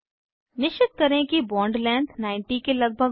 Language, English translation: Hindi, Ensure that Bond length is around 90